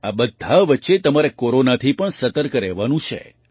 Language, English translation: Gujarati, In the midst of all this, you also have to be alert of Corona